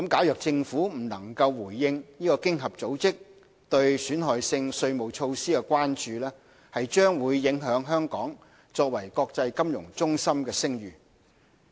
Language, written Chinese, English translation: Cantonese, 若政府未能回應經合組織對損害性稅務措施的關注，將會影響香港作為國際金融中心的聲譽。, Failure to address OECDs concerns about harmful tax practices will jeopardize Hong Kongs reputation as an international financial centre